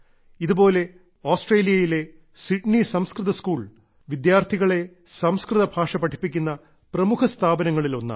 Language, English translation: Malayalam, Likewise,Sydney Sanskrit School is one of Australia's premier institutions, where Sanskrit language is taught to the students